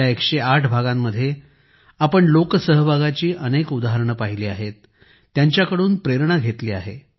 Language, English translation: Marathi, In these 108 episodes, we have seen many examples of public participation and derived inspiration from them